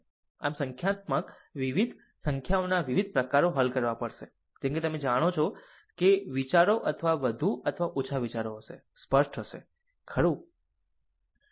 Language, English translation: Gujarati, So, we have to solve a several numericals varieties type of numerical, such that your ah you know your idea the thoughts will be more or less your thoughts will be clear, right